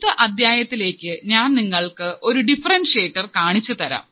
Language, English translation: Malayalam, Now, in the next module, what I want to show you what is a differentiator